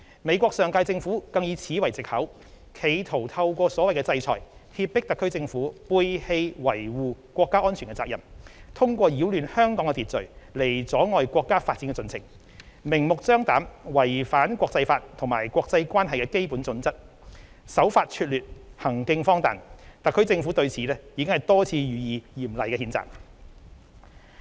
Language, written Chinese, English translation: Cantonese, 美國上屆政府更以此為藉口，企圖透過所謂"制裁"脅迫特區政府背棄維護國家安全的責任，通過擾亂香港的秩序來阻礙國家發展的進程，明目張膽違反國際法及國際關係基本準則，手法拙劣，行徑荒唐，特區政府對此已多次予以嚴厲譴責。, The last United States US Administration even used this as an excuse to initiate the so - called sanctions in a futile attempt to intimidate the HKSAR Government into abandoning its responsibility of defending national security and to hinder the development of our country by disrupting order in Hong Kong . Such an act absurd and menacing as it is is in blatant violation of international laws and basic norms governing international relations and the HKSAR Government has time and again condemned it in the strongest terms